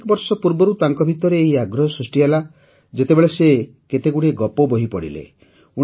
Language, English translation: Odia, Years ago, this interest arose in him when he read several story books